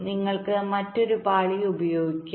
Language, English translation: Malayalam, so what you can do, you can use another layer